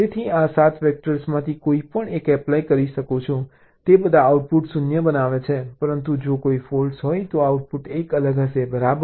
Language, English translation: Gujarati, this seven vectors, they all make output zero, but if there is a fault, output will be one different right now